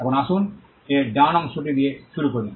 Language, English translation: Bengali, Now let us start with the right part of it